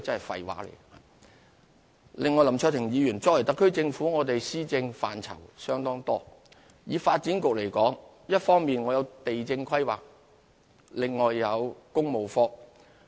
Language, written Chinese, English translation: Cantonese, 此外，林卓廷議員，特區政府的施政範疇相當多，發展局一方面負責地政規劃，另外亦設有工務科。, Moreover Mr LAM Cheuk - ting the administration of the SAR Government covers a very wide spectrum . Apart from being responsible for land planning the Development Bureau also has a Works Branch